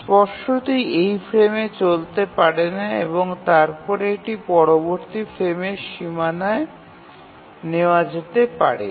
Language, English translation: Bengali, Obviously it cannot run on this frame and then it can only be taken up in the next frame, next frame boundary